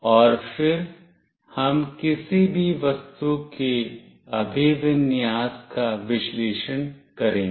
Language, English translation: Hindi, And then we will analyze the orientation of any object